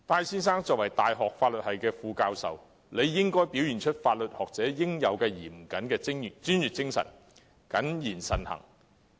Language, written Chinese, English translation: Cantonese, 身為大學法律系副教授，戴先生理應表現法律學者應有的嚴謹專業精神，謹言慎行。, As an Associate Professor of the Faculty of Law of a university Mr TAI ought to demonstrate the due diligence and professionalism of a law academic and be discreet in both words and deeds